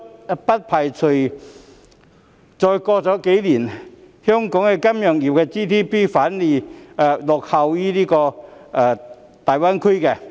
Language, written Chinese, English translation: Cantonese, 我不排除再過數年，香港金融業的 GDP 反會落後於大灣區。, I do not rule out that Hong Kong will fall behind GBA in terms of the financial industrys GDP after yet a few more years